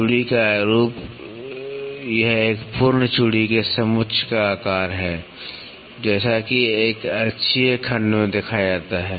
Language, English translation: Hindi, Form of thread it is the shape of the contour of one complete thread, as seen in an axial section